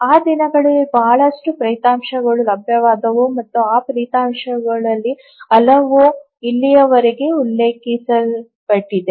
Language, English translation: Kannada, Lot of results became available during those days and many of those results are even referred till now